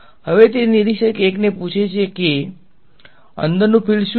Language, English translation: Gujarati, Now, he is asking the observer 1 hey what is the field inside ok